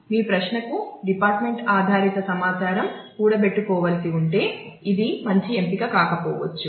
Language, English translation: Telugu, So, if your query has the department based information to be to be accumulated, and then this may not be a good option